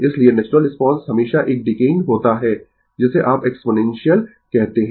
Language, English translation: Hindi, So, natural response is always a decaying your what you call exponential, right